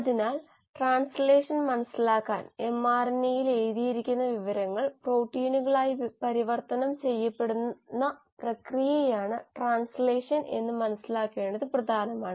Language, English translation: Malayalam, So to understand translation it is important to understand that translation is the process by which the information which is written in mRNA is finally converted to the product which are the proteins